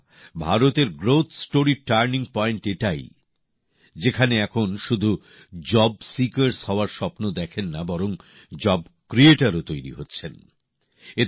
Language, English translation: Bengali, Friends, this is the turning point of India's growth story, where people are now not only dreaming of becoming job seekers but also becoming job creators